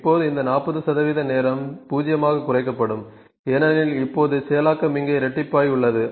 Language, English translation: Tamil, Now this 40 percent of time reduced to 0, because now the processing is doubled here